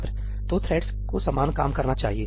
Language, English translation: Hindi, So, the threads should be doing similar stuff